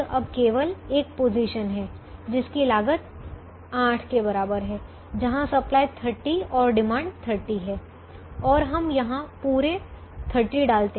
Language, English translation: Hindi, there is only one position, which is this position with cost equal to eight, where the supply is thirty, the demand is thirty, and we put all thirty here